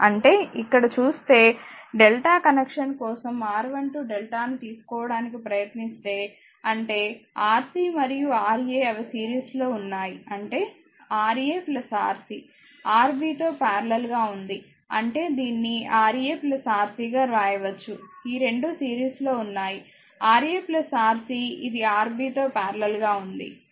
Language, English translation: Telugu, That means, if you look into here, you will find that if it is that if you try to find out here R 1 2 this delta means for delta connection right; that means, Rc and Ra they are in series right; that means, Ra plus Rc in parallel with Rb; that means, we can write this one is equal to hope you can this thing that Ra plus Rc; these 2 are in series Ra plus Rc with that parallel to this one these are making it parallel is Rb that means R 1 2 delta will be Ra plus Rc into Rb divided by Ra plus Rc plus Rb right